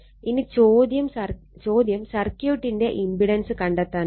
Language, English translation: Malayalam, So, now question is impedance of the circuit